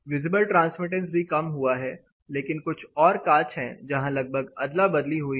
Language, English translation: Hindi, Visible transmittance also has gone down, but there are also some other glasses, where you have more or less of trade off